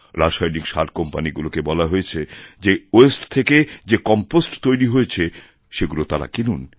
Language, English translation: Bengali, Fertilizer companies have been asked to buy the Compost made out of waste